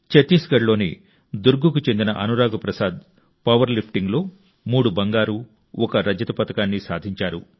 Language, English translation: Telugu, Anurag Prasad, resident of Durg Chhattisgarh, has won 3 Gold and 1 Silver medal in power lifting